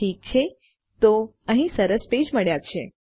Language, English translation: Gujarati, Okay so weve got a nice page here